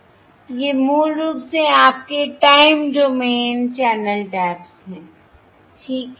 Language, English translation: Hindi, these are basically your time domain channel taps